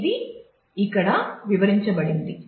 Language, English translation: Telugu, So, this is what is explained here